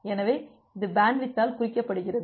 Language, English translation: Tamil, So, that is signifies by the bandwidth